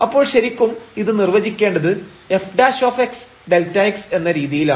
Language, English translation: Malayalam, So, originally this was defined as a f prime x delta x